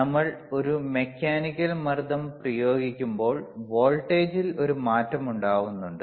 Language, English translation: Malayalam, When it is when we apply a mechanical pressure there is a change in voltage,